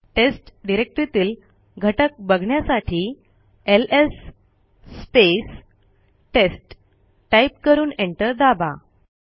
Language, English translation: Marathi, To see the contents inside test type ls test and press enter